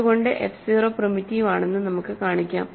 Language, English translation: Malayalam, So, we can, we can show that f 0 is primitive